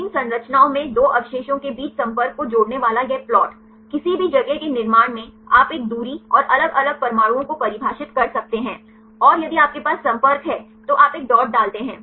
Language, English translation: Hindi, This a plot connecting the contact between two residues in protein structures; in construct any space you can define a distance and different different atoms and if you have the contact you put a dot